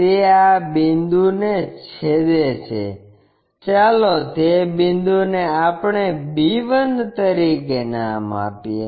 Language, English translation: Gujarati, It is intersecting this point; let us call that point as our b 1